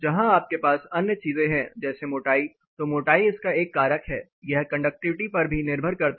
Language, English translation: Hindi, Where you have other things like thickness so it is a factor of thickness, it is a factor of conductivity